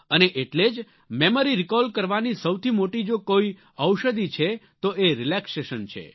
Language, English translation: Gujarati, And therefore the most effective medicine that exists for memory recall is relaxation